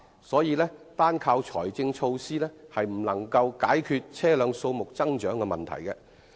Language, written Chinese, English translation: Cantonese, 所以，單靠財政措施根本無法解決車輛數目增長的問題。, Thus relying merely on financial measures cannot reduce the growth in the number of vehicles at all